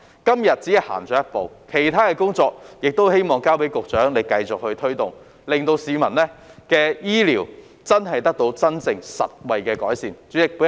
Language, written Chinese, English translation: Cantonese, 今日只是走了一步，希望局長繼續推動其他工作，令市民的醫療服務真的有實際改善。, We have just taken a step forward today . I hope that the Secretary will continue to make other efforts to bring about practical improvement to the healthcare services for the public